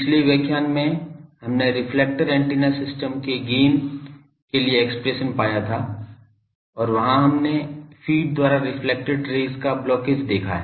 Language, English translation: Hindi, In the last lecture we have found the expression for gain of the reflector antenna system and there we have seen that there is a blockage of the reflected rays by the feed